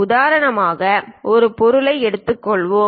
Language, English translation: Tamil, For example, let us take this object